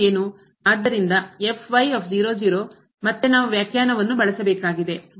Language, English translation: Kannada, So, again we have to use the definition